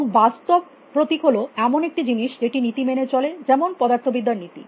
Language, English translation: Bengali, And physical symbol is something which obeys laws which have like the laws of physics